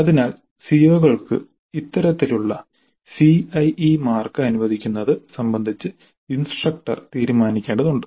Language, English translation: Malayalam, So the instructor has to decide on this kind of CIE marks allocation to COs